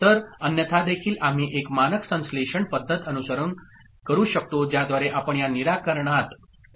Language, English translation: Marathi, So, otherwise also we can follow a standard synthesis method by which we can arrive at this solution